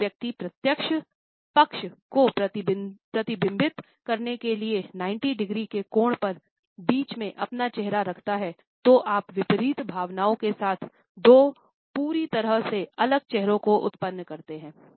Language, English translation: Hindi, When the person mirror down the middle at an angle of 90 degrees to reflect each side of a face you produce two completely different faces with opposite emotions